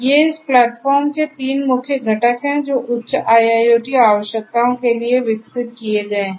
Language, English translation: Hindi, These are the three these three main components of this platform Meshify which has been developed for higher IIoT requirements